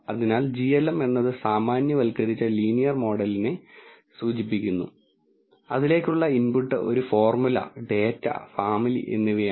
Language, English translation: Malayalam, So, glm stands for generalized linear model and the input to it is a formula, a data and family